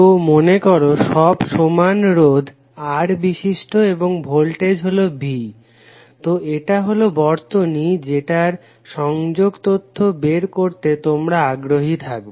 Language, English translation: Bengali, So suppose all are of equal resistance R and this is voltage V, so this is the circuit you may be interested to find out the connectivity information